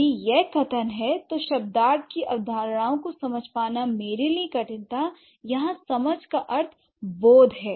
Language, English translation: Hindi, If this is the statement, it was difficult for me to grasp the concepts of semantics